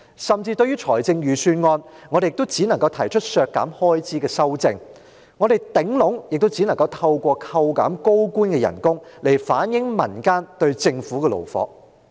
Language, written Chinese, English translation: Cantonese, 甚至對於預算案，我們也只能提出削減開支的修正案，透過削減高官的薪酬來反映民間對政府的怒火。, And even for the Budget we can only propose amendments to reduce expenditure and reflect peoples rage at the Government by reducing the pay of high - ranking officials